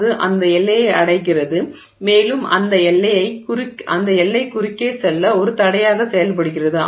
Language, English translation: Tamil, It arrives at that boundary and the boundary acts as a hindrance for it to move across